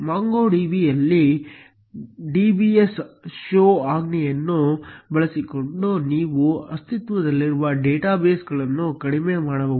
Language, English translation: Kannada, In MongoDB, you can less the existing data bases by using the command show dbs